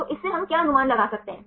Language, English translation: Hindi, So, from this what can we infer